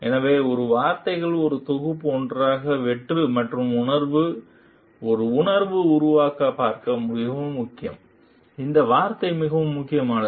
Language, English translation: Tamil, So, these words are very important see creating a feeling of succeeding and feeling together as a package this word is very important